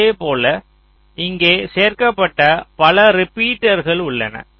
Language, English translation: Tamil, similarly, here there are several repeaters i have inserted